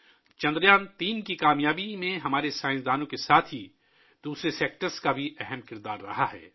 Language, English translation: Urdu, Along with our scientists, other sectors have also played an important role in the success of Chandrayaan3